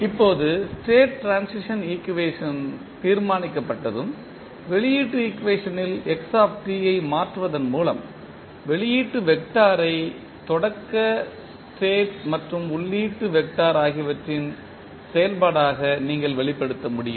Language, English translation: Tamil, Now, once the state transition equation is determined, the output vector you can express as the function of initial state and the input vector simply by substituting xt into the output equation